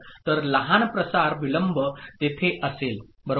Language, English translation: Marathi, So small propagation delay will be there, right